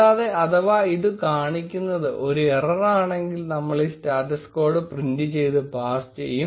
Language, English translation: Malayalam, And in case, it shows an error we are going to print this status code and pass